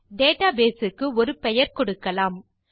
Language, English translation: Tamil, Now, lets name our database